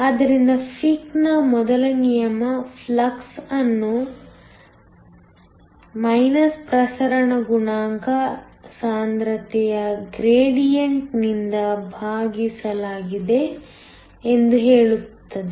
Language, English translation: Kannada, So, Fick’s first law says that the flux is divided by your concentration gradient